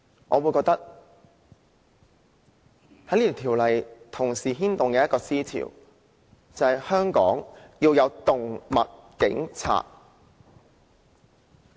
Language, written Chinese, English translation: Cantonese, 我認為這修訂規例同時牽動一個思潮，便是香港要有"動物警察"。, As far as I am concerned this Amendment Regulation also serves as a stimulus to the trend of thought that Hong Kong needs to have animal police